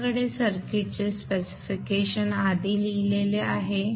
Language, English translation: Marathi, You have the specification of the circuit written first